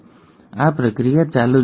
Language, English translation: Gujarati, And this process keeps on continuing